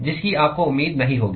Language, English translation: Hindi, That you will not expect